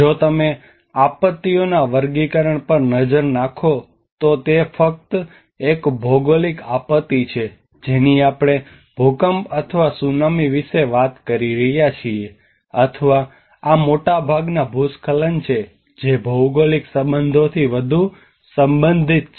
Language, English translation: Gujarati, If you look at the classification of the disasters, It is just a geophysical disaster which we are talking about the earthquake or the tsunami or these are most of the landslides which are more related to the geophysical aspects of it, and they are very less